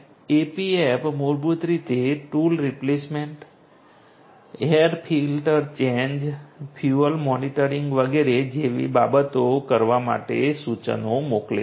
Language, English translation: Gujarati, The AP app basically sends instructions for doing things like tool replacement, air filter change, fuel monitoring and so on